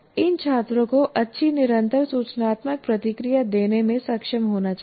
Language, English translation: Hindi, The students themselves should be able to give themselves a good continuous informative feedback